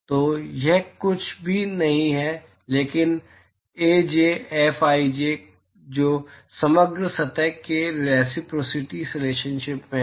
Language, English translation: Hindi, So, that is nothing, but Aj Fji that is from reciprocity relationship for the overall surface